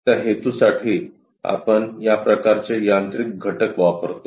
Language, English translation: Marathi, For that purpose, we use this kind of mechanical element